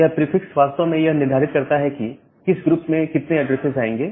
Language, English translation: Hindi, So, this prefix actually determines that, how many addresses will fall into what group